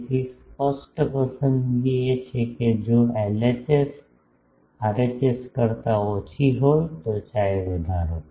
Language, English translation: Gujarati, So, the obvious choice is if LHS is less than RHS increase chi